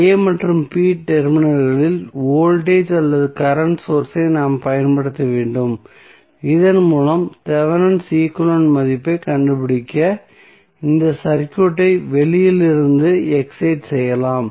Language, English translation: Tamil, Then we have to apply either the voltage or the current source across the a and b terminals so that we can excite this circuit from outside to find out the value of Thevenin equivalent